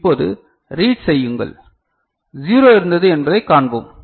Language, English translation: Tamil, And now, do the reading, we’ll see that 0 was there